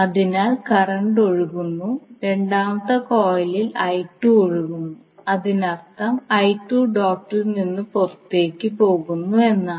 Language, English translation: Malayalam, So the current is flowing I 2 is flowing in the second coil that means that I2 is leaving the dot